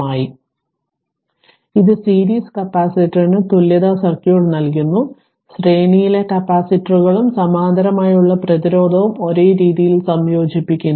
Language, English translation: Malayalam, So, it gives the equivalence circuit for the series capacitor, note that capacitors in series combine in the same manner of resistance in parallel